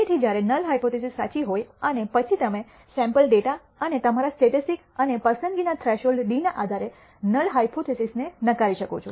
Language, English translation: Gujarati, So, when the null hypothesis is true and then you reject the null hypothesis based on the sample data and your statistic and the threshold d of selection